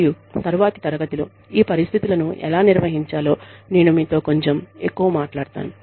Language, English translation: Telugu, And, I will talk to you a little bit more about, how to handle these situations, in the next class